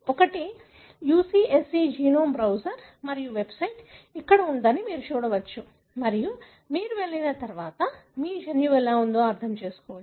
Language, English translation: Telugu, One is the UCSC genome browser and you can see that the website is here and you go and then you will be able to, understand how the genome is